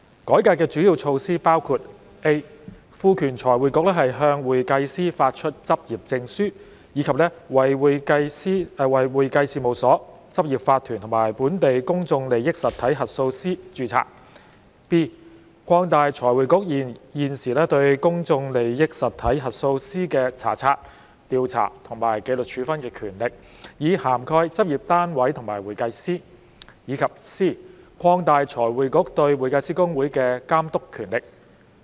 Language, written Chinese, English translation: Cantonese, 改革的主要措施包括 ：a 賦權財匯局向會計師發出執業證書，以及為會計師事務所、執業法團和本地公眾利益實體核數師註冊 ；b 擴大財匯局現時對公眾利益實體核數師的查察、調查和紀律處分權力，以涵蓋執業單位和會計師；以及 c 擴大財匯局對會計師公會的監督權力。, The major measures of the reform include a empowering FRC to issue practising certificates to certified public accountants CPAs and register CPA firms corporate practices and auditors of local public interest entities PIEs; b expanding FRCs current powers of inspection investigation and discipline over PIE auditors to cover practice units and CPAs; and c expanding FRCs oversight powers over HKICPA